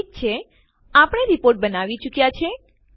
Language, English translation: Gujarati, Okay, we are done with our Report